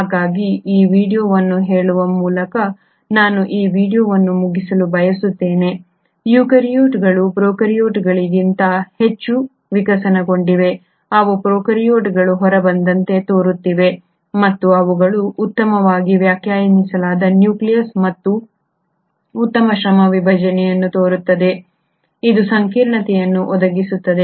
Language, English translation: Kannada, So I would like to end this video by saying, eukaryotes have been far more evolved than the prokaryotes, they seem to have come out of prokaryotes and they seem to have a very well defined nucleus and a very good division of labour, which provides complexity for sure, but it also enhances the efficiency of the organism which may not have been in case of prokaryotes